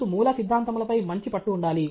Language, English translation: Telugu, You should have sound grasp of fundamentals